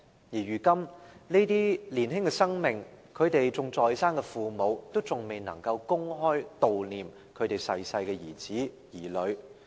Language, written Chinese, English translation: Cantonese, 如今，對於這些年青的生命，他們仍然在生的父母，依然未能公開悼念已逝世的兒子、女兒。, Nowadays regarding those young people their surviving parents are still forbidden from commemorating their departed sons and daughters in public